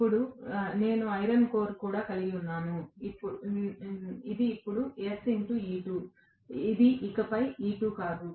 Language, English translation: Telugu, Now, I am going to have the iron core as well, this is now S times E2, it is not E2 anymore